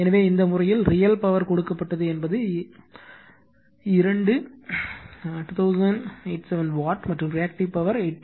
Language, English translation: Tamil, So, in this case, the real power supplied is that two 2087 watt, and the reactive power is 834